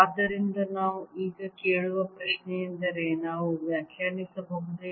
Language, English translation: Kannada, the question we are now ask where is, can we define